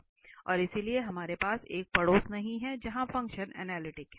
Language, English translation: Hindi, And therefore we do not have a neighbourhood where the function is analytic